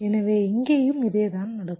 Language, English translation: Tamil, so same thing will happen here also